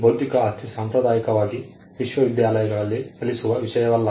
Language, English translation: Kannada, Intellectual property is not a subject that is traditionally taught in universities